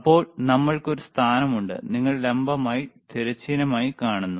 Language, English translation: Malayalam, Then we have a position, you see vertical, horizontal